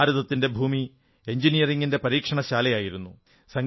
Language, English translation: Malayalam, Our land has been an engineering laboratory